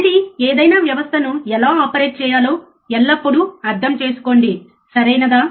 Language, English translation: Telugu, Again, always understand how to operate any system, right